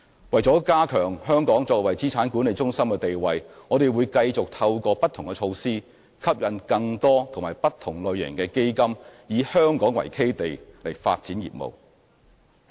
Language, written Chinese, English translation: Cantonese, 為加強香港作為資產管理中心的地位，我們會繼續透過不同措施吸引更多及不同類型的基金以香港為基地發展業務。, In order to strengthen Hong Kongs status as an asset management centre we will continue to attract with different measures a greater number and variety of funds to base their business development in Hong Kong